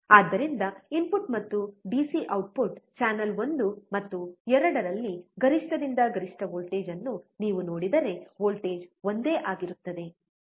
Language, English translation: Kannada, So, if you see the peak to peak voltage at the input and output DC channel 1 and 2, voltage is same